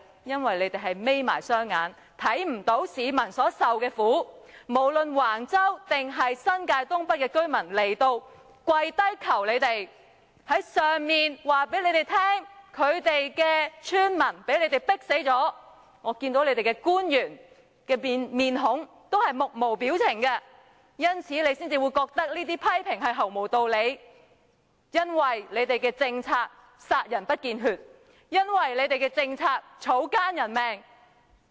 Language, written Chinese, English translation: Cantonese, 因為你們閉上了眼睛，看不到市民所受的苦，無論是橫洲還是新界東北的居民前來立法會跪求你們，告訴你們村民被你們迫死了，但我看到你們這些官員的樣子均木無表情，因此你們才會覺得我們這些批評毫無道理，因為你們的政策殺人不見血，草菅人命。, Because you all closed your eyes and failed to see the hardship the public suffered . No matter it were the residents of Wang Chau or the residents of NENT who knelt down to beg you telling you that the villagers were being pushed to the corner I saw that you officials all showed no responses so that is why you will find these criticisms senseless because your policies have destroyed the people in subtle means and acted with no regard for human life